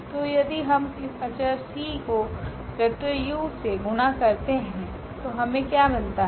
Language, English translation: Hindi, So, if we multiply are this c to this vector u then what we will get